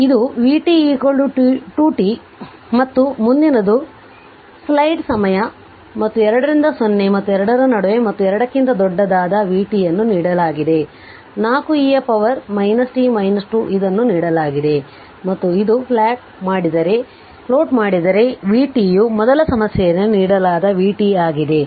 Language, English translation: Kannada, So, it is vt is equal to 2 t and next one your what you call and from 2 this in between 0 and 2 and when t greater than 2 your vt this this was given, 4 e to the power minus t minus 2 this was given and this is the plot of your that vt this one that is given in the first problem right